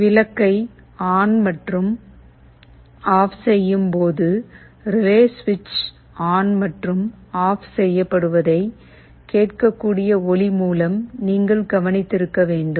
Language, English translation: Tamil, You must have noticed that when the bulb is switching ON and OFF, there is an audible sound indicating that the relay switch is turning on and off